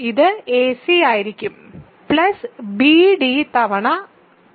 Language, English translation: Malayalam, So, ac by bd is in R